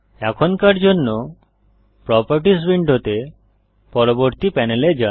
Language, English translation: Bengali, For now, lets move on to the next panel in the Properties window